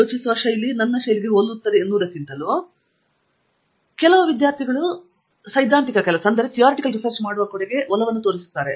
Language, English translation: Kannada, I think the style of thinking whether it matches, some students are really inclined towards doing carrying out theoretical work